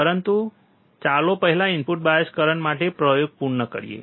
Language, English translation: Gujarati, But let us first now complete the experiment for input bias current